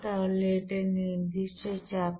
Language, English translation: Bengali, So this is at constant pressure